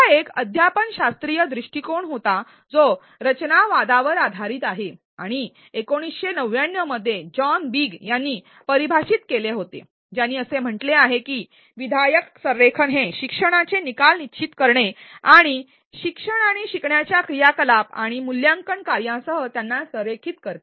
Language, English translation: Marathi, It is a pedagogical approach which is based on constructivism and was defined in 1999 by John Biggs who stated that constructive alignment is about defining learning outcomes and aligning them with teaching and learning activities and assessment tasks